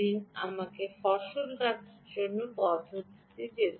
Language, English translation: Bengali, let me go into another mode of harvesting